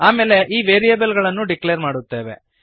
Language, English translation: Kannada, Then we declare the variables